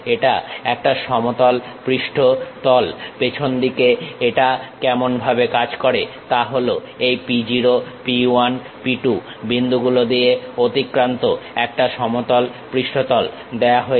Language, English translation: Bengali, If it is a planar surface, the back end how it works is; a plane surface that passes through three points P 0, P 1, P 2 is given